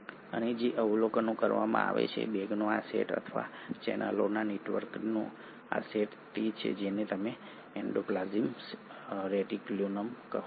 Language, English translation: Gujarati, And what is observed, this set of bags or this set of network of channels is what you call as the endoplasmic reticulum